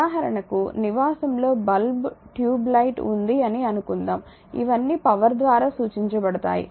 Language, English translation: Telugu, For example, suppose at your residence the bulb is there tube light is there these are all represented by power